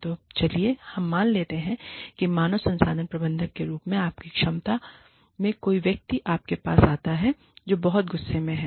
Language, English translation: Hindi, So, let us assume, that in your capacity as human resources manager, somebody comes to you, Somebody, who is very angry